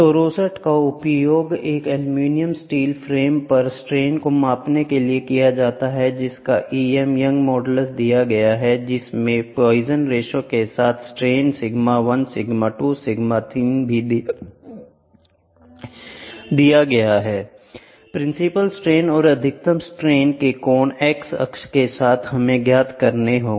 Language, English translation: Hindi, So, rosette is used to measure the strain on an aluminum steel frame whose E m Young’s modulus is given poisons ratio is given the strain sigma 1 sigma 2 sigma 3 is also given determine the principal stress and the angle of maximum principal stress related to the x axis